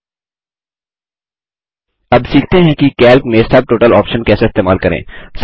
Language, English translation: Hindi, Now, lets learn how how to use the Subtotal option in Calc